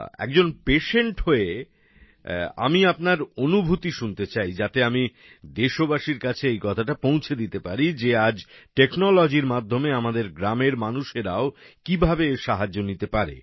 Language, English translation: Bengali, As a patient, I want to listen to your experiences, so that I would like to convey to our countrymen how the people living in our villages can use today's technology